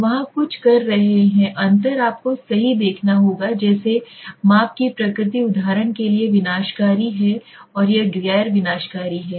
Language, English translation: Hindi, So there are some of the differences you have to see right like the nature of measurement is destructive for example and this is non destructive